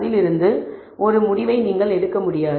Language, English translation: Tamil, And it may not be possible for you to make a visual conclusion from that